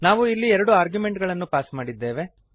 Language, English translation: Kannada, We have passed two arguements here